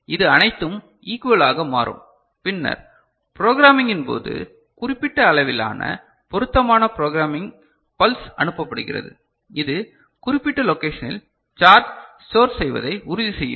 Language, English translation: Tamil, It becomes all equal and then after that during programming you send an appropriate programming pulse of particular magnitude which will ensure storage of charge in specific location